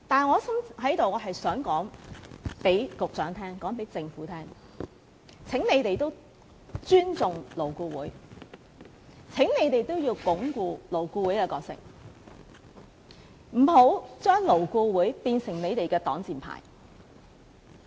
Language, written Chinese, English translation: Cantonese, 可是，我在此想告訴局長及政府，請你們也尊重勞顧會，請你們也要鞏固勞顧會的理念，不要將勞顧會變成你們的擋箭牌。, However I would like to ask the Secretary and the Government to respect LAB as well . Please strengthen the missions of LAB and do not turn LAB into your shield